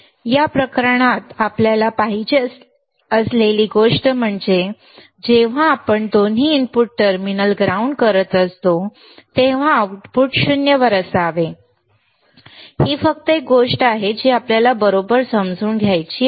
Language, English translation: Marathi, In this case what we are desired thing is the output should be at 0 when we are grounding both the input terminal, that is only one thing that we want to understand right